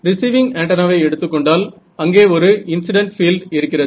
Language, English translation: Tamil, Yes, in the case of receiving antenna there is an incident field right